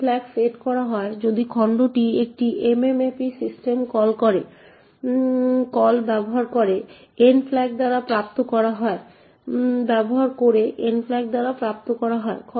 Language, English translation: Bengali, The M flag set if the chunk was obtained using an mmap system call by the N flag is set if the chunk along to a thread arena